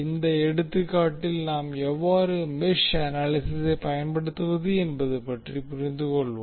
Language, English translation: Tamil, In this example, we will try to understand how we will apply the mesh analysis